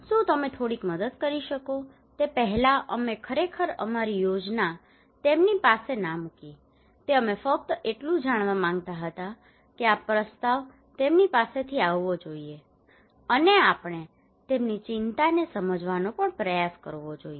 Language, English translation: Gujarati, can you help you some manner, before that we did not really put our plan to them we just wanted to know that this proposal should come from them and we should also try to understand them their concerns